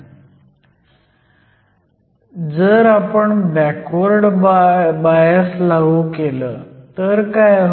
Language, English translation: Marathi, So, what happens if we apply a Reverse bias